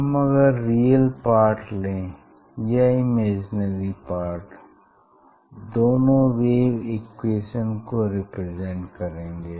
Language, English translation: Hindi, if you take the take the real part or imaginary part, so they will represent thewave equation